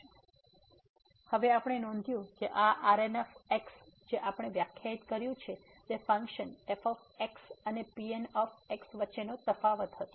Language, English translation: Gujarati, So, now we note that these which we have define that was the difference between the function and